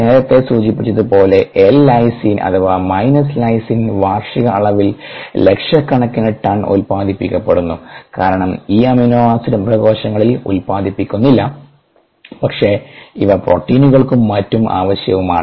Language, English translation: Malayalam, as mentioned earlier, ah lysine minus lysine is produce an annual quantities of hundred of thousands of tons, because this amino acid is not made by ani, by animal cells, but is required forproteins and so on